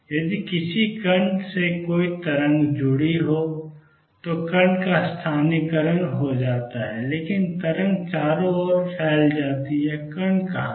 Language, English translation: Hindi, If there is a wave associated with a particle, particle is localized, but the wave is spread all over the place, where is the particle